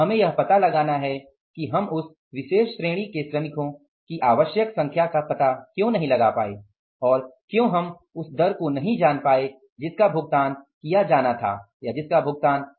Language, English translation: Hindi, We have to find out why we were not able to find out the required number of workers in that particular category and why we are not able to find out the rate which should have been paid